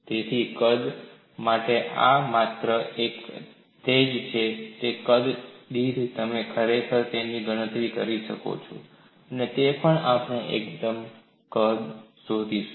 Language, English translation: Gujarati, So, this is all you get for volume, per volume you are actually calculating it, and also we will look at for a unit volume